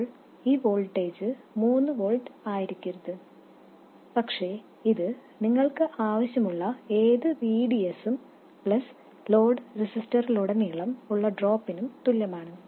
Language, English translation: Malayalam, Now, this voltage should not be 3 volts, but it is equal to whatever VDS you need plus whatever drop you have across the load resistor